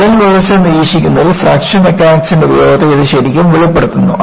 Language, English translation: Malayalam, This really brings out the utility of Fracture Mechanics in monitoring crack growth